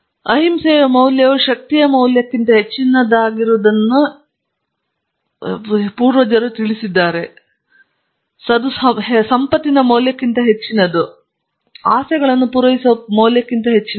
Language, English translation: Kannada, So, he said teach them that the value of non violence is greater than the value of power, is greater than the value of wealth and greater than the value of fulfillment of desires